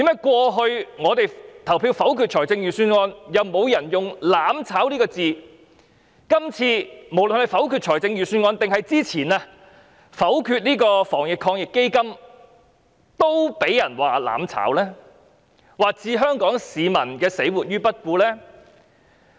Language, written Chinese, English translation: Cantonese, 過去我們否決預算案時，沒有人用過"攬炒"這個詞語，但今次否決預算案，或之前否決防疫抗疫基金時，卻被指是"攬炒"，或置香港市民的死活於不顧。, In the past when we voted against the Budget no one ever used the term mutual destruction . But this time when we were about to do so or previously when we voted against the Anti - epidemic Fund we were accused of pursuing mutual destruction or leaving Hong Kong people to sink or swim